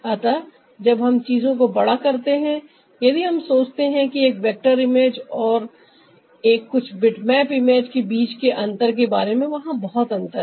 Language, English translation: Hindi, so, ah, when we expand the thing, if we think in terms of the difference between a vector image and ah do some kind of a bitmap image, ah, there is a lot of difference